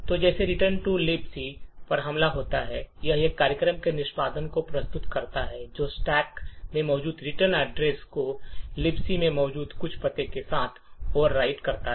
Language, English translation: Hindi, So just like the return to libc attack it subverts execution of a program by overwriting the return address present in the stack with some address present in libc